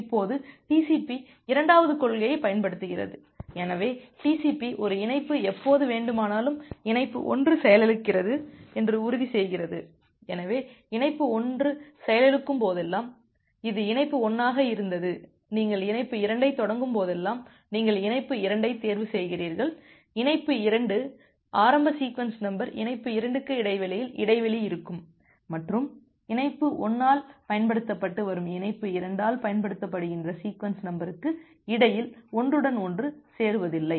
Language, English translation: Tamil, Now TCP uses the second principle, so TCP ensures that whenever a connection, say connection 1 crashes, so this was connection 1 whenever connection 1 crashes, whenever you are starting connection 2 you choose the connection 2, the initial sequence number of connection 2 in such a way that there is a gap in between so this is for connection 2; there is a gap in between and there is no overlap between the sequence number which is being used by connection 1 and which is being used by connection 2